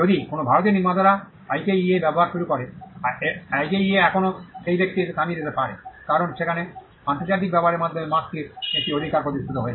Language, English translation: Bengali, If someone an Indian manufacturer starts using IKEA, IKEA could still come and stop that person, because there a right to the mark is established by use international use